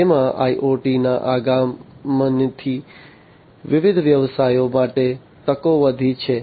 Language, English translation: Gujarati, It has advent of IoT has increased, the opportunities for different businesses